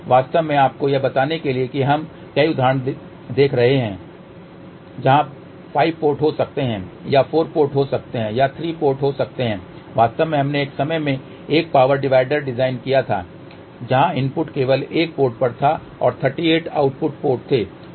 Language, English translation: Hindi, In fact, just to tell you we will be looking at several examples where there may be a 5 ports or there may be a 4 ports or there may be 3 port in fact, we had designed at one time a power divider where input was only one port and there were 38 output ports